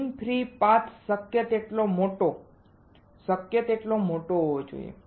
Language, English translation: Gujarati, Mean free path should be as large as possible, as large as possible